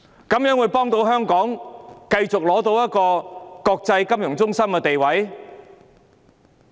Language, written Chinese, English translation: Cantonese, 怎能幫助香港繼續保持國際金融中心地位？, How could she help Hong Kong maintain its status as an international financial centre?